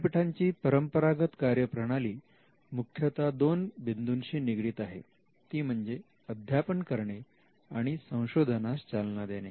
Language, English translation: Marathi, The traditional function of a university can be broadly captured under two things that they do, universities teach, and they do research